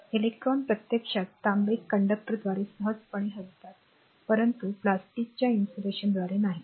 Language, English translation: Marathi, So, electrons actually readily move through the copper conductor, but not through the plastic insulation